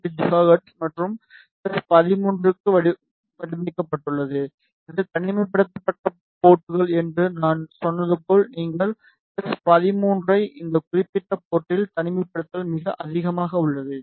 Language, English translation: Tamil, 8 gigahertz and for S 13 as I told you that is isolated ports you can see S13the isolation is very high at this particular port